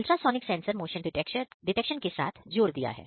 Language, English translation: Hindi, So, ultrasonic sensor, we have used to simulate motion detection